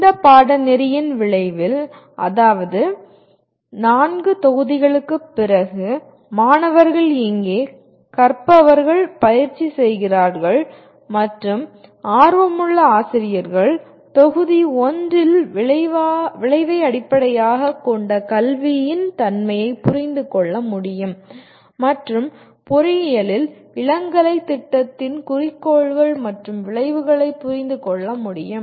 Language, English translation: Tamil, At the end of this course, that is after the 4 modules, the students, here the learners are practicing and aspiring teachers should be able to in module 1 understand the nature of outcome based education and objectives and outcomes of an undergraduate program in engineering as required by NBA